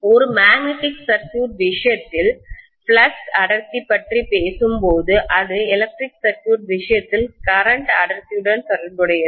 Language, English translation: Tamil, And we also said when we were talking about flux density in the case of a magnetic circuit that is correspond to corresponding to current density in the case of an electrical circuit, right